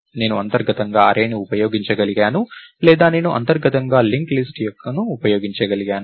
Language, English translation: Telugu, I could have used an array internally or I could have used a link list internally